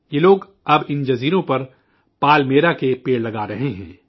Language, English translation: Urdu, These people are now planting Palmyra trees on these islands